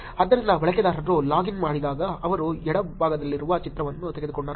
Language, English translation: Kannada, So when the user logged in they took the picture that on the left